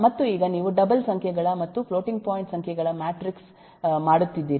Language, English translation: Kannada, and now you are making matrix of double numbers, floating point numbers